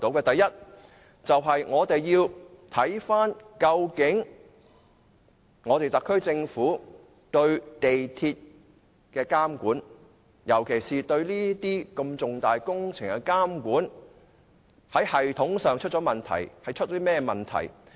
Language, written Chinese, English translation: Cantonese, 第一，我們要看看究竟特區政府對港鐵公司的監管，尤其是對這些如此重大工程的監管，在系統上出現甚麼問題。, First we can review the systematic problems of the SAR Government in monitoring MTRCL particularly in monitoring such an important project